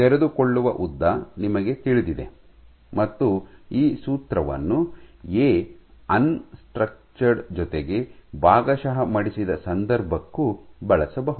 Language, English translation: Kannada, So, you know the unfolding length unfolded length, and this formula can also be used for the case where A is unstructured, plus partially folded